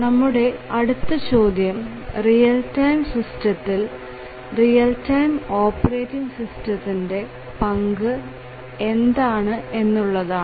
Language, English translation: Malayalam, So, the next question is that what is the role of the real time operating system in these real time systems